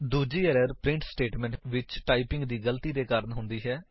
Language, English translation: Punjabi, The next error happens due to typing mistakes in the print statement